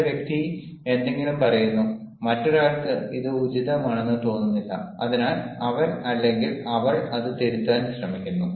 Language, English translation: Malayalam, some person says something and the other person does not feel it is appropriate, so what he or she does is he or she tries to correct it